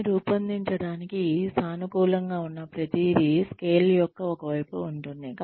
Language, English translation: Telugu, In order to design this, everything that is positive would be on one side of the scale